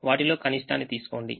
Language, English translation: Telugu, take the minimum of them